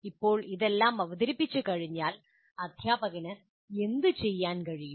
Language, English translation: Malayalam, Now having presented all this, what exactly, what can the teacher do